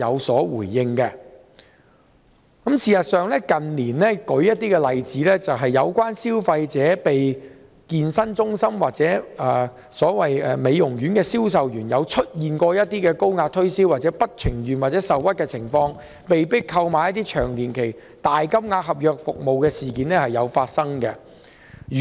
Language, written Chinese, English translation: Cantonese, 事實上，近年有些例子是消費者遭健身中心或美容院的銷售員高壓推銷，而消費者在不情願或受屈的情況下，被迫購買一些年期長、金額大的合約服務的事件亦時有發生。, In fact in recent years there have been cases in which consumers felt aggrieved at being pressurized or forced into making purchases of services which involved large contract sums or long contract term unwillingly by salespersons of certain trades such as fitness centres or beauty salons who employ aggressive sales tactics